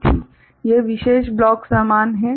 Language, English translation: Hindi, This particular block is similar